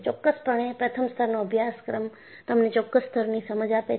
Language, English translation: Gujarati, So, definitely the first level of the course has given you certain level of understanding